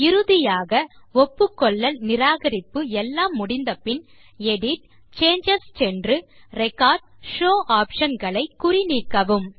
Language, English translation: Tamil, Finally, after accepting or rejecting changes, we should go to EDIT CHANGES and uncheck Record and Show options